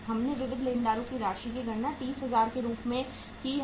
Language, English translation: Hindi, We have calculated the amount of sundry creditors as 30,000